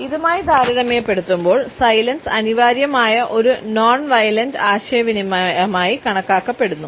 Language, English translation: Malayalam, In comparison to that silence is necessarily considered as a non violent communication